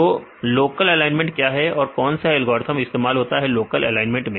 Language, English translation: Hindi, So, what is local alignment, which algorithm is used for local alignments